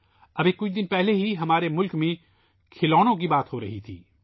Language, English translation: Urdu, Just a few days ago, toys in our country were being discussed